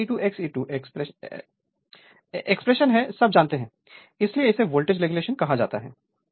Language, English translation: Hindi, So, R e 2 X e 2 expression you know all this right so, this is your what you call the voltage regulation